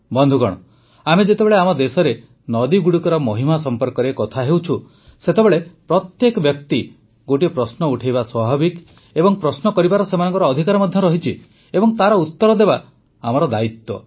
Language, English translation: Odia, now that we are discussing the significance of rivers in our country, it is but natural for everyone to raise a question…one, in fact, has the right to do so…and answering that question is our responsibility too